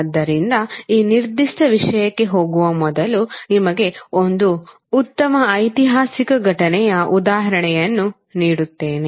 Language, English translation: Kannada, So, before going into this particular topic today, let me give you one good historical event example